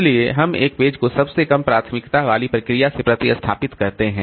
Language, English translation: Hindi, So we we replace a page from a process with the lowest priority